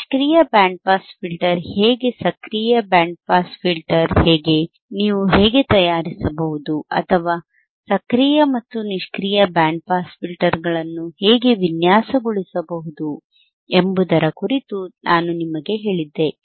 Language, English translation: Kannada, I had told you about how the passive band pass filter is, I had told you how the active and pass filter is, I had told you how you can how you can fabricate or how you can design the active and passive band pass filters